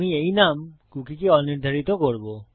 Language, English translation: Bengali, Now we will set the cookie name to nothing